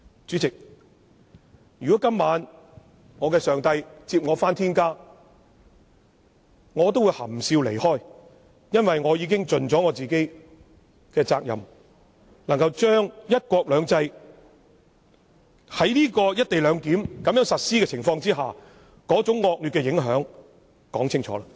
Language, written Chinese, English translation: Cantonese, 主席，如果今晚我的上帝接我回天家，我也會含笑離開，因為我已經盡了自己的責任，將在"一國兩制"下實施"一地兩檢"安排的那種惡劣影響說清楚。, President if my Lord takes me back to heaven tonight I will leave with a contented smile as I have already fulfilled my responsibility by clearly explaining the adverse impact of implementing the co - location arrangement under one country two systems